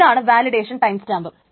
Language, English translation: Malayalam, The second is the validation timestamp